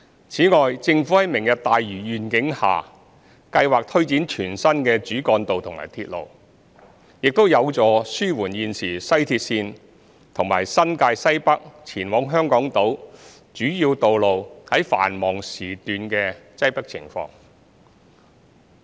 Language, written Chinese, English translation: Cantonese, 此外，政府在"明日大嶼願景"下計劃推展全新的主幹道及鐵路，亦有助紓緩現時西鐵綫和新界西北前往香港島主要道路繁忙時段的擠迫情況。, Moreover the Government plans to implement new major roads and railways under the Lantau Tomorrow Vision which will also relieve the current congestion situation at peak hours at West Rail and major roads linking Northwest New Territories and Hong Kong Island